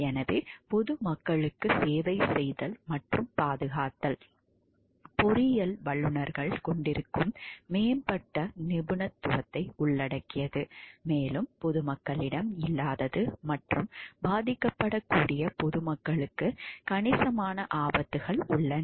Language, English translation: Tamil, So, serving and protecting the public, engineering involves advanced expertise that professionals have and the public lacks and also considerable dangers to a vulnerable public